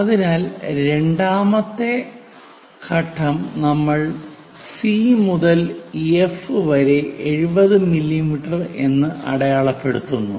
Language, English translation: Malayalam, So, 2nd step done so C to F is 70 mm